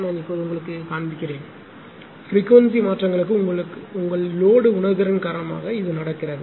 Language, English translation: Tamil, This is happening I will show you now; this is happening because of your that load is is your sensitive to the changes in frequency